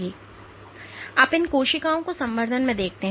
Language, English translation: Hindi, So, what has been seen is when you look at these cells in culture